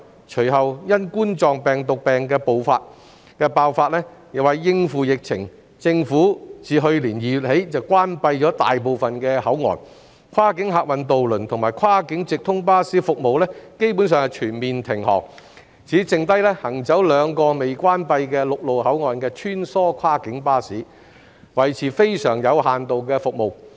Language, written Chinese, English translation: Cantonese, 隨後，因2019冠狀病毒病爆發，為應付疫情，政府自去年2月起關閉大部分口岸，跨境客運渡輪及跨境直通巴士服務基本上全面停止，只餘下行走兩個未關閉的陸路口岸的穿梭跨境巴士維持非常有限度的服務。, Subsequently due to the outbreak of the Coronavirus Disease 2019 the Government has closed most of the control points to cope with the epidemic since February last year . Cross - boundary passenger ferry and coach services have basically ceased completely . Only very limited services are maintained by the remaining cross - boundary shuttle buses travelling through the two land boundary control points which are still open